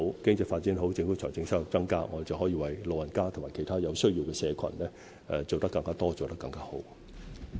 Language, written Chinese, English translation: Cantonese, 經濟發展好，政府的財政收入便會增加，我們便可以為老人家和其他有需要的社群做得更多和更好。, With good economic development the Governments revenue will increase and we will be able to provide more and better services for the elderly and other community groups in need